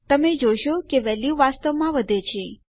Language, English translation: Gujarati, You can see that the value is in fact going up